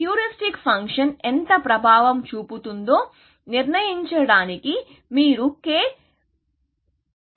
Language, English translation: Telugu, So, you use a parameter k to decide, how much influence the heuristic function has